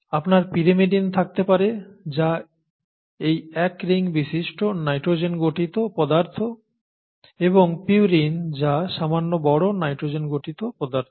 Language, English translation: Bengali, You could have pyrimidines which are these one ring nitrogenous substances and purines which are slightly bigger nitrogenous substances, okay